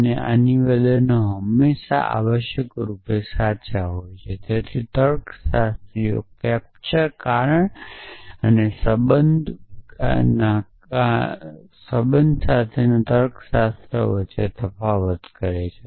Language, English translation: Gujarati, And this statements is always true essentially so which is I sometimes logicians tend to distinguish between logics with capture cause and relationship